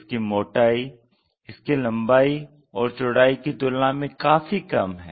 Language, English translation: Hindi, The thickness is much smaller compared to the either the length or breadth of that